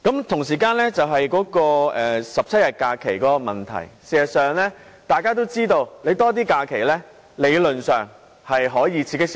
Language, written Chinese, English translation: Cantonese, 同時，關於17天公眾假期的問題，大家其實也知道增加假期理論上可以刺激消費。, At the same time regarding the 17 days of public holidays we know that increasing the number of holidays can stimulate consumption in theory